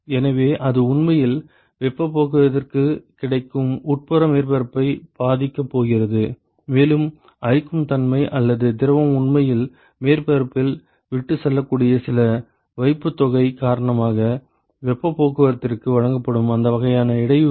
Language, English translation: Tamil, So, it is really going to affect the interior surface, which is available for heat transport and so, that kind of disturbance that is offered for the heat transport because of corrosive nature or some deposit that the fluid might actually leave on the surface